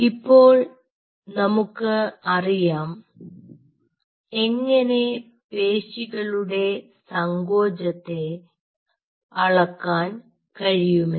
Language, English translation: Malayalam, so now we know how we can measure the muscle contraction